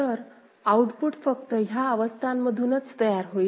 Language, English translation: Marathi, So, output will be generated solely from the states